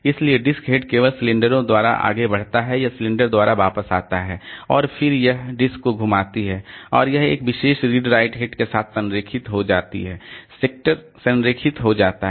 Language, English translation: Hindi, So, disc head just advances by cylinders or comes back by cylinders and then this disk this the disc moves, disk rotates and this it gets aligned to a particular red right head the sector gets aligned